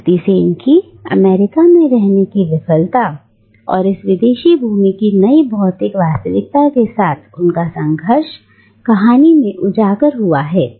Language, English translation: Hindi, And Mrs Sen’s failure to come to terms with America and her conflict with the new physical reality of this foreign land is exposed in the story